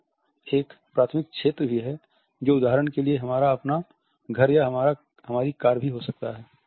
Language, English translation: Hindi, Then there is a primary territory which obviously, belongs to us only for example, our own home, our car also